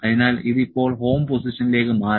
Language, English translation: Malayalam, So, it has now went to the home position